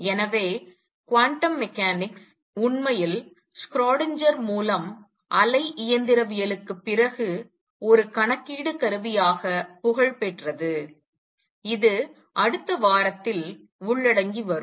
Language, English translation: Tamil, And therefore quantum mechanics really gained popularity as a calculation tool after wave mechanics by Schrödinger came along which will be covering in the next week